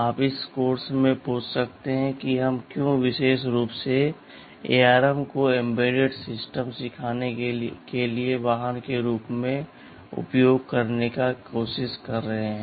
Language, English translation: Hindi, You may ask in this course why are you we specifically trying to use ARM as the vehicle for teaching embedded systems